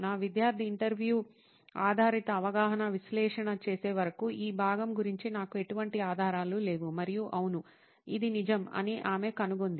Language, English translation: Telugu, I had no clue about this part till my student did interview based perception analysis and she found out that yes, this is true